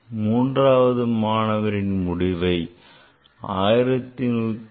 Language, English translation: Tamil, Third student is written the result 1175